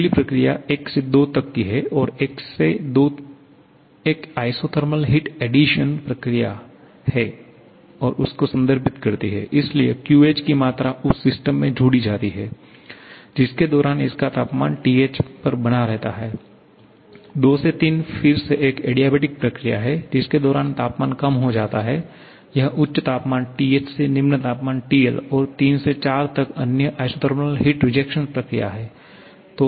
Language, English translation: Hindi, Next process 1 to 2, 1 to 2 refers to an isothermal heat addition process, so QH amount of heat gets added to the system during which its temperature remains constant at TH, 2 to 3 is again an adiabatic process during which the temperature reduces from this high temperature TH to low temperature TL and 3 to 4 another isothermal heat rejection process